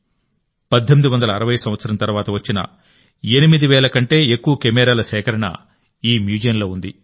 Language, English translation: Telugu, It houses a collection of more than 8 thousand cameras belonging to the era after 1860